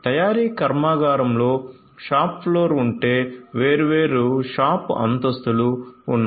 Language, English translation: Telugu, So, if the manufacturing plant has a shop floor, different shop floors are there